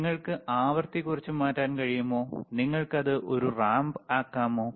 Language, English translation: Malayalam, ok, cCan you change the frequency less, can you make it a ramp right